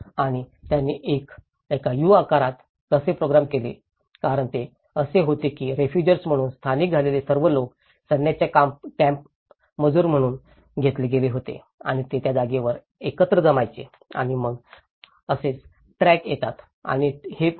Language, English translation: Marathi, And how they programmed it in a U shape was because all these people who were settled as refugees they were taken as labourers to the army camps and that is how they used to gather in place and then that is how the trucks come and this becomes a kind of public place as well